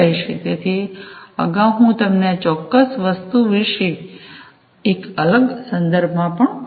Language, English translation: Gujarati, So, earlier I was telling you about this particular thing, in a different context as well